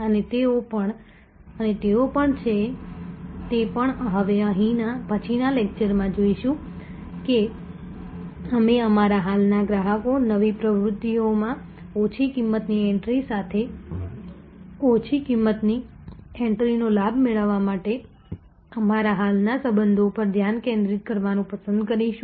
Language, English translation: Gujarati, And even they are as well will see in the next lecture we will like to focus on our existing customers, our existing relations to leverage a low cost entry with other low cost entry into a new activities